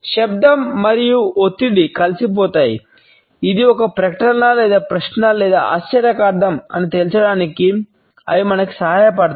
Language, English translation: Telugu, Intonation and a stress blend together; they help us to conclude whether it is a statement or a question or an exclamation